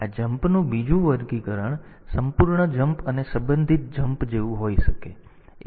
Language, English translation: Gujarati, Another classification of this jump can be like this absolute jump and relative jump ; absolute jump and relative jump